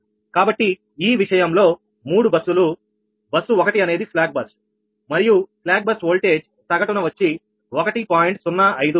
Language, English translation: Telugu, so in this case three buses: bus one is a slack bus and bus slack bus voltage at mean